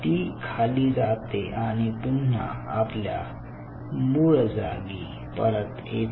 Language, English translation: Marathi, so it came down and it comes back to its ground, original position